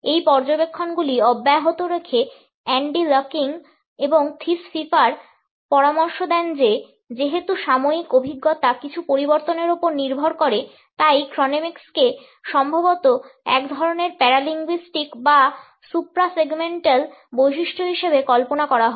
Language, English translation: Bengali, Continuing with these observations, Andy lucking and Thies Pfeiffer suggests that since temporal experience depends on the changing of something, Chronemics is probably best conceived of as a kind of paralinguistic or supra segmental feature